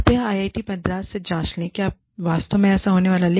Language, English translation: Hindi, Please, check with IIT Madras, if it is really going to happen